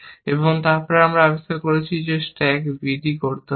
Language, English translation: Bengali, So, this is the sixth action; stack b on d